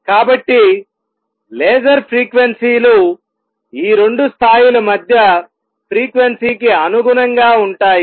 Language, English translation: Telugu, So, laser frequencies is going to be the corresponding to the frequency between the these two levels